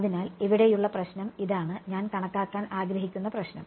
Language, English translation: Malayalam, So, the problem over here this is the problem that I want to calculate